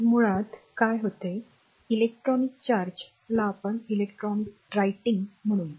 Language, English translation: Marathi, So, basically what happen electrical charge that is electron say in that it were writing electron